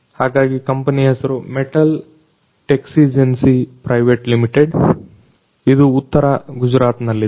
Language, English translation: Kannada, So, the name of the company is Metal Texigency Private Limited in North Gujarat